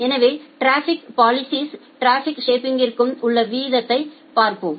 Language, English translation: Tamil, So, let us look into the difference between traffic policing and traffic shaping